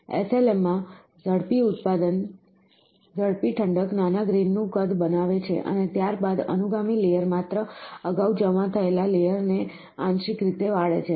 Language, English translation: Gujarati, Rapid cooling in SLM creates small grain size and subsequently, subsequent layer deposit only partially re melt the previously deposited layer